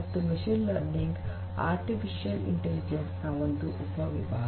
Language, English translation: Kannada, And machine learning itself is a subset of artificial intelligence